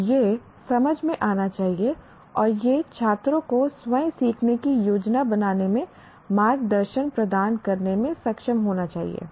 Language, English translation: Hindi, So it should be comprehensible and it should be able to provide guidance to students in planning their own learning